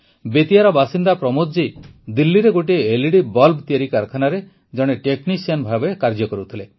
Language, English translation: Odia, A resident of Bettiah, Pramod ji worked as a technician in an LED bulb manufacturing factory in Delhi